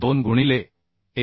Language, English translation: Marathi, 2 into 1